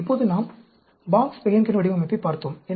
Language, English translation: Tamil, Now, we looked at Box Behnken Design